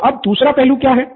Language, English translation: Hindi, What is the low side